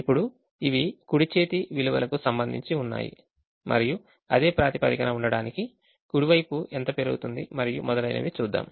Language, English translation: Telugu, now, these are with respect to the right hand side values and how much the right hand side can increase for the same basis to remain, and so on